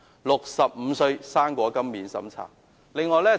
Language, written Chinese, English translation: Cantonese, 65歲'生果金'免審查！, Fruit grant without means test for applicants aged 65!